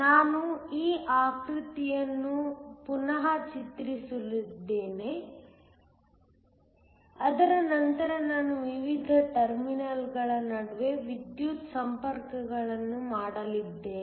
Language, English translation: Kannada, I am going to redraw this figure, but then I am also going to make electrical connections between the various terminals